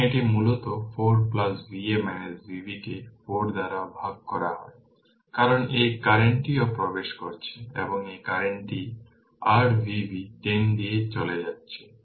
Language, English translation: Bengali, So, it is basically 4 plus V a minus V b divided by 4, because this current is also entering and this current is leaving is equal to your V b by 10